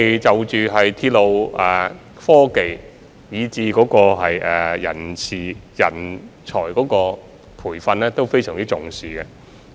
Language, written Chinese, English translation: Cantonese, 就着鐵路科技，以至人事及人才培訓等，我們都相當重視。, We attach great importance to railway technology as well as human resource management and training of talents